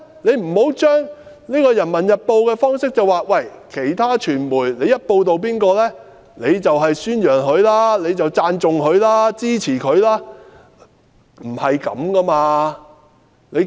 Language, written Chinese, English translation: Cantonese, 不要基於《人民日報》的辦報方式，認為其他傳媒報道某人的主張，便等於宣揚、讚頌、支持他。, It is inappropriate to think basing on the style of Peoples Daily that the reporting by other media of a persons idea is tantamount to promoting praising and supporting him